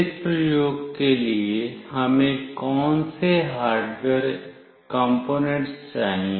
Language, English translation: Hindi, What are the hardware components that we require for this experiment